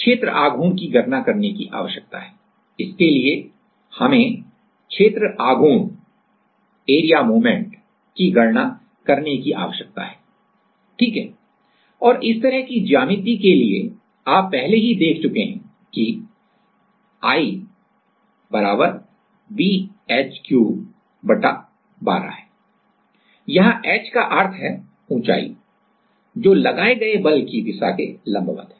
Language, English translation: Hindi, We need to calculate the area like the inertia amount of inertia right and for this kind of geometry you have already seen that I = b h cube by twelve and there h means the height or on which direction the force is applied just perpendicular to that like